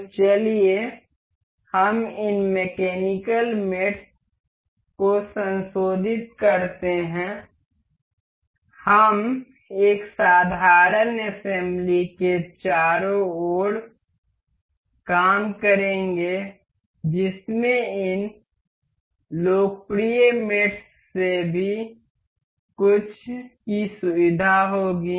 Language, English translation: Hindi, So, let us just revise this mechanical mates, we will work around a simple assembly that will feature some of these popular mates